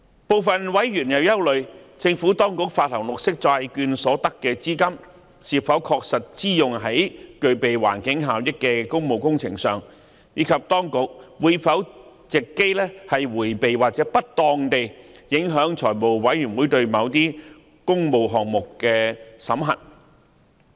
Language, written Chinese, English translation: Cantonese, 部分委員憂慮，政府當局發行綠色債券所得的資金是否確實支用在具備環境效益的工務工程上，以及當局會否藉機迴避或不當地影響財務委員會對某些工務項目的審核。, Some members are concerned about whether the proceeds from the green bonds issued by the Administration are actually used on public works projects with environmental benefits and whether the Administration will take the opportunity to circumvent or unduly affect the Finance Committees scrutiny of certain public works projects